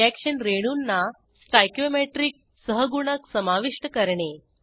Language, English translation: Marathi, Add stoichiometric coefficients to reaction molecules